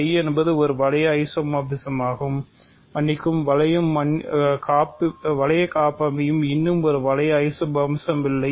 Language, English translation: Tamil, So, capital phi is an ring isomorphism ok, that is good sorry ring homomorphism not yet a ring isomorphism